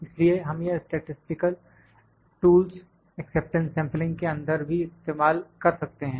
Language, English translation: Hindi, So, because we use these statistical tools in acceptance sampling as well